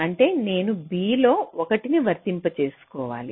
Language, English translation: Telugu, this means that i have to apply a one in b